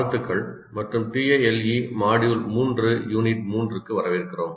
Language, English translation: Tamil, Greetings and welcome to Tale, Module 3, Unit 3